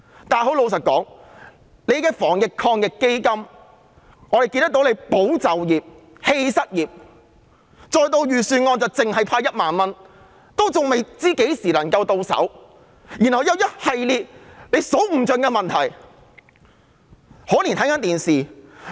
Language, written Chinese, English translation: Cantonese, 但老實說，我們看到政府提出的防疫抗疫基金"保就業、棄失業"，而預算案提出派發的1萬元仍未知何時能夠到手，而且還有一系列數之不盡的問題。, But frankly we see that the Government in introducing AEF seeks to safeguard jobs to the neglect of the unemployed . It remains unknown when we can receive the payout of 10,000 proposed in the Budget and there are also a whole host of problems